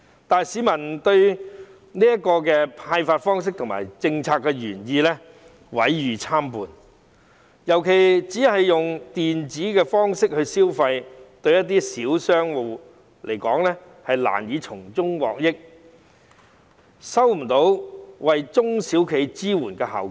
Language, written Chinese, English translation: Cantonese, 但是，市民對有關消費券的派發方式和政策原意毀譽參半，尤其只是利用電子方式來消費，對一些小商戶而言是難以從中獲益，未能達到為中型、小型企業提供支援的效果。, However the public have mixed opinions about the disbursement method and the policy intent of the initiative . In particular since consumption can only be made by electronic means thus small businesses will have difficulties benefiting from it and the initiative will fail to produce the effect of supporting medium and small enterprises SMEs